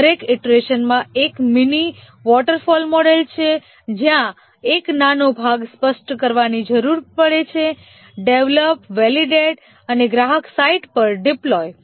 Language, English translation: Gujarati, In each iteration is a mini waterfall where need to specify a small part, develop, validate and deploy at the customer site